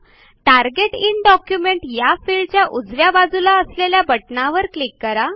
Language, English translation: Marathi, Then click on the button to the right of the field Target in document